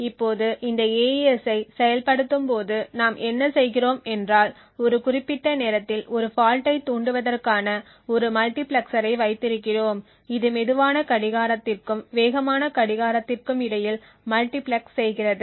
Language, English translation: Tamil, Now in order to induce a fault at a specific time during the execution of this AES what we do is we have a multiplexer which multiplexes between a slow clock and a fast clock